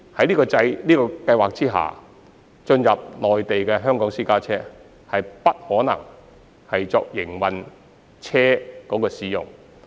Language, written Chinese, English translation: Cantonese, 此外，在這項計劃下，進入內地的香港私家車不可作為營運車輛使用。, In addition Hong Kong private cars entering the Mainland under this Scheme cannot be used as commercial vehicles